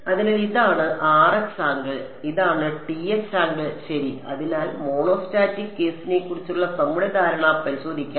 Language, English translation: Malayalam, So, this is the R x angle and this is the T x angle ok, so, just to test our understanding of the monostatic case